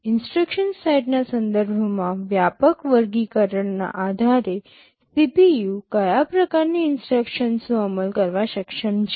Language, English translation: Gujarati, What kind of instructions the CPU is capable of executing depending upon the broad classification with respect to instruction sets